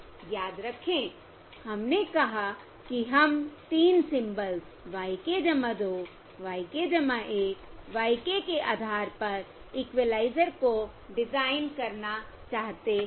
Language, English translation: Hindi, Remember, we said we would like to design the equaliser based on the 3 symbols: y k plus 2, y k plus 1 y k